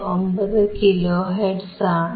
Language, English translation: Malayalam, 59 kilo hertz